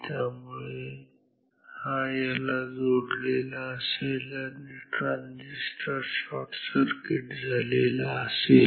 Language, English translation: Marathi, So, this is this will be connected to this and then this transistor will be short circuited